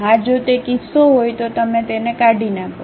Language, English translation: Gujarati, Yes, if that is the case you delete it